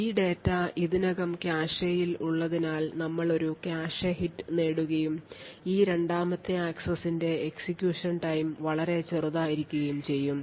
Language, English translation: Malayalam, Since this data is already present in the cache, therefore we obtain a cache hit and the execution time for this second access would be considerably smaller